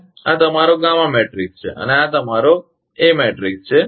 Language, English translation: Gujarati, And this is your gamma matrix and this is your a matrix